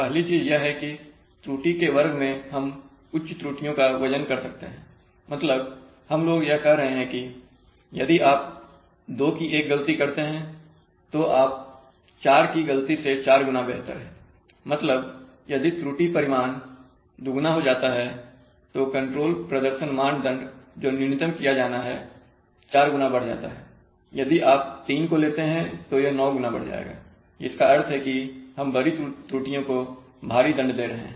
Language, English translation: Hindi, First thing is that in square of error, we are able to weight higher errors that is we are saying that if you commit an error of two, you are four times better than if you commit an error of four, so double errors, if the error magnitude goes double then the control performance criterion which is to be minimized goes four times up, if you go three times it will go nine times up, which means that we are heavily penalizing large errors